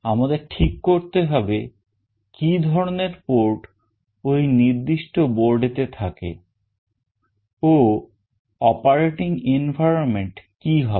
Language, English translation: Bengali, We need to decide upon that or what kind of ports are there in that particular board and the operating environment